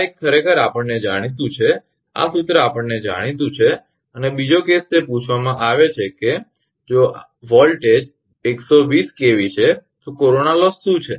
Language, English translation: Gujarati, This one actually known to us this formula is known to us and second case it is ask that if the voltage is 120 kV what is the corona loss